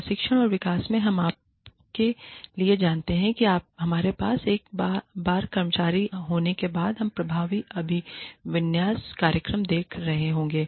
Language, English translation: Hindi, In training and development, we look for, you know, we must have, once the employees are taken in, then we are looking at, effective orientation programs